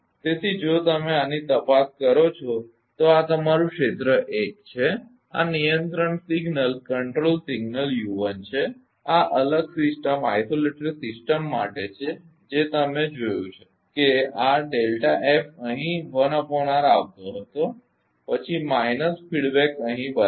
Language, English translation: Gujarati, So, if you look into this then this is your area 1, this is the control signal u 1 this is for isolated system you have seen delta this delta F was coming to 1 upon r then minus ah feedback here, right